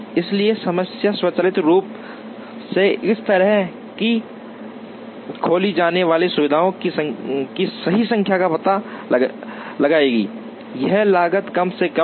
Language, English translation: Hindi, So, the problem will automatically find out the correct number of facilities to be opened such that, this cost is minimized